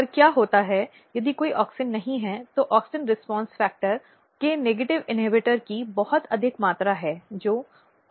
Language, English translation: Hindi, And what happens if there is no auxin there is a very high amount of negative inhibitor of auxin response factor which is Aux/IAA